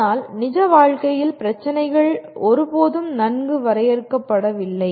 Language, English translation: Tamil, But in real world problems are never that well defined